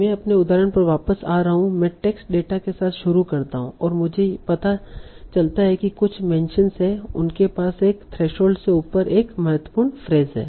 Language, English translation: Hindi, So like coming back to my example so I start with the text data and I find out okay there are some mentions they have to have a key phrase above a threshold